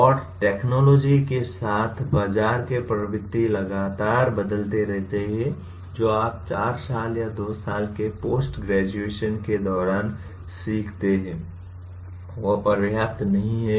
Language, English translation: Hindi, And with technologies continuously changing and market trends continuously changing what you learn during the 4 years or 2 years of post graduation is not going to be adequate